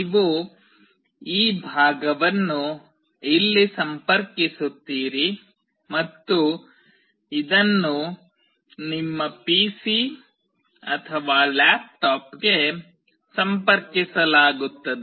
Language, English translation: Kannada, You will be connecting this part here and this will be connected to your PC or laptop